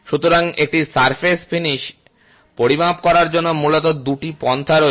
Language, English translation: Bengali, So, methods of measuring a surface finish, there are basically two approaches for measuring surface finish